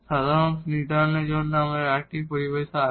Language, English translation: Bengali, There is another terminology use for defining the solution